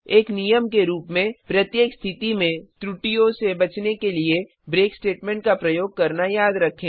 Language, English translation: Hindi, As a rule, remember to use a break statement in every case to avoid errors